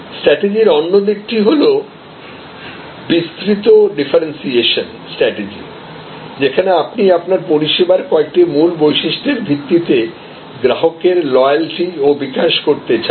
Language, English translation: Bengali, Now, the other side of the strategy is this broad differentiation strategy, where you want to develop the customer loyalty based on some key features in your service